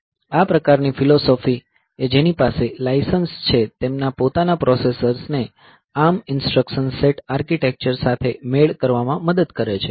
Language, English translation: Gujarati, So, this type of philosophy, this helps the licensee to develop their own processors complaint with the ARM instruction set architecture